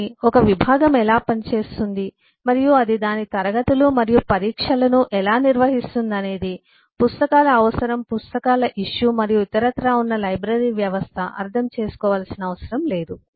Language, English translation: Telugu, but how a department functions and it conducts its classes and eh examinations and all that is eh not required to be understood by a library system which has requirement of books, issue of books and so on and vice versa